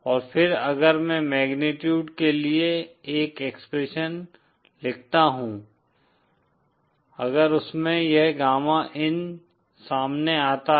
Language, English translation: Hindi, And then if I write an expression for the magnitude if this gamma in it comes out to